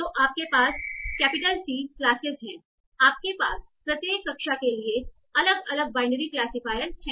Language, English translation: Hindi, So you have capital C classes, you have different binary classifiers for each of the classes